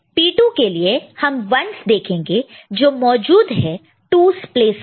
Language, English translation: Hindi, P 2 will be obtained by looking at 1s that are present in the 2’s place